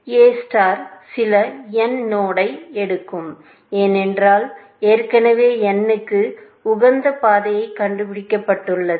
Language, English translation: Tamil, Whenever, A star picks some node n, because already found an optimal path to n